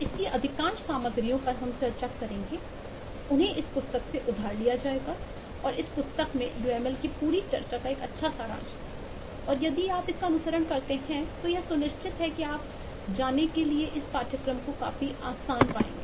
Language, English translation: Hindi, this has most of the materials that we will discuss is will be borrowed from this book and eh, also, the whole discussion of uml has good summary in this book and if you follow this am sure you will find this course quite easy to go